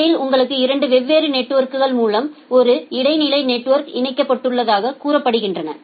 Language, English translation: Tamil, And in between you have an intermediate network through 2 different networks they are say connected OK